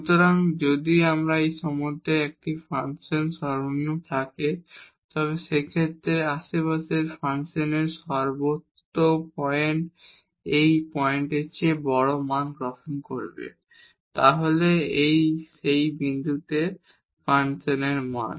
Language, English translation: Bengali, So, if a function has a minimum at this point in that case all the points in the neighborhood function will take larger values than the point itself, then the value of the function at that point itself